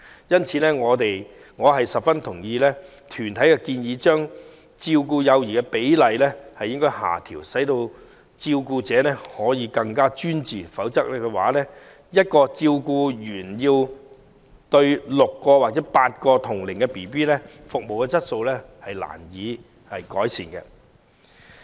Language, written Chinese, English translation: Cantonese, 因此，我十分贊同團體的建議，將照顧幼兒的比例下調，使照顧者可更專注，否則要1名照顧員照顧6至8名同齡幼兒，服務質素將難以改善。, For this reason I eagerly support the proposal of the organizations for bringing down the manning ratios for child care services so that carers can be more focused . Otherwise the service quality can hardly be improved with one carer having to take care of 6 to 8 children of the same age